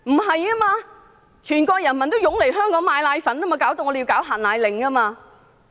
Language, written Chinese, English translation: Cantonese, 事實上，全國人民也湧來香港購買奶粉，因而令香港政府要發出"限奶令"。, As a matter of fact people all over the Mainland have swarmed to Hong Kong to buy powdered formula resulting in the issue of the powdered formula restriction order by the Hong Kong Government